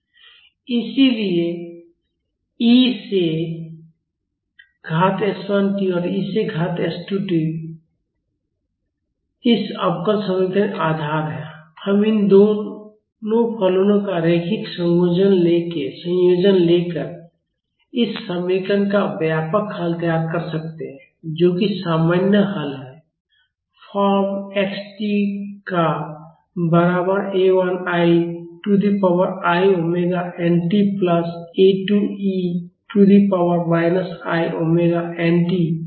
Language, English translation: Hindi, So, e to the power s 1 t and e to the power s 2 t are the basis of this differential equation and we can formulate the general solution of this equation by taking linear combination of these two functions, that is the general solution is of the form x of t is equal to A 1 e to the power i omega nt plus A 2 e to the power minus i omega nt